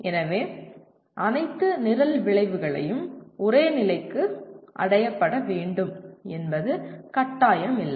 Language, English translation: Tamil, So it is not mandatory that all program outcomes have to be attained to the same level